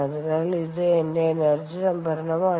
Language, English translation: Malayalam, so this is my energy stored